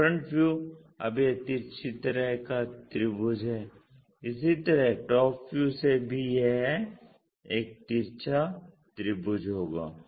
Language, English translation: Hindi, So, front view now it is skewed kind of triangle similarly from top view also it will be a skewed triangle